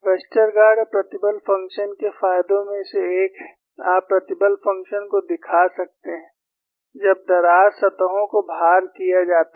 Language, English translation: Hindi, One of the advantages of Westergaard stress function is, you put coin stress functions, when the crack surfaces are loading